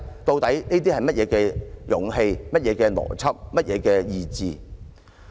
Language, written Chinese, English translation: Cantonese, 這究竟是甚麼勇氣、甚麼邏輯、甚麼意志？, What kind of courage logic and determination is this?